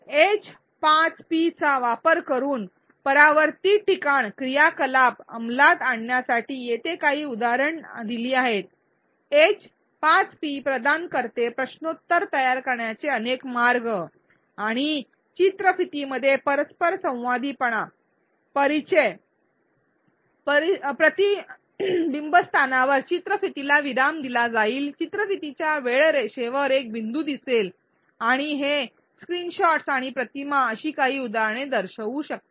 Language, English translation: Marathi, In order to implement reflection spot activity using H5P here are a few examples, H5P provides multiple ways to create quizzes and introduce interactivity within the videos, the video will get paused at the reflection spot there will be a dot appearing on their timeline of the video and these screenshots and images can show a few such examples